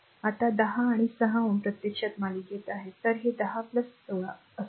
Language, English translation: Marathi, Now 10 and 6 ohm actually there in series; so, it will be 10 plus 16